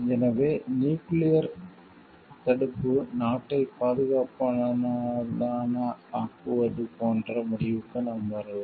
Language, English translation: Tamil, So, for that we can conclude like nuclear deterrence makes the country safer